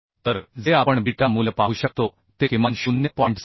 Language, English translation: Marathi, 443 So what we could see beta value atleast it has to be 0